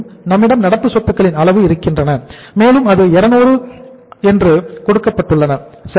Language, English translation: Tamil, We have the current assets level and that is given, already given level is 200 right